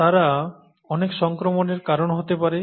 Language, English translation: Bengali, They can, cause a lot of infection